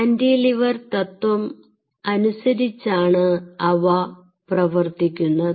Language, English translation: Malayalam, ok, and they say they, they work on cantilever principle